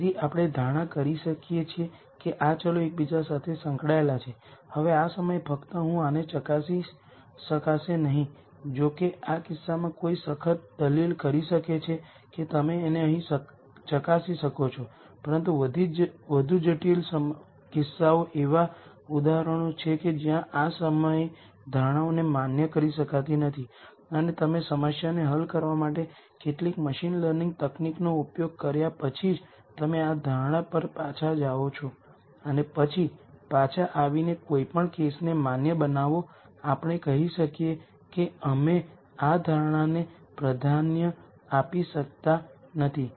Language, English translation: Gujarati, So, we could make the assumption that these variables are interrelated, now at this point just at this point I might not be able to verify this though in this case one could strictly make an argument that that you could verify it here itself, but in more complicated cases there are examples where the assumptions cannot be validated right at this point and you go back to this assumption only after you have used some machine learning technique to solve the problem and then come back and validate any case let us say we cannot validate this assumption a priori